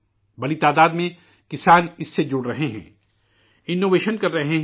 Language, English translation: Urdu, Farmers, in large numbers, of farmers are associating with it; innovating